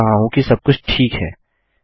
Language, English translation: Hindi, Just checking that everything is okay